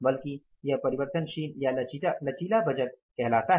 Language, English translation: Hindi, So that is called as a flexible budgeting system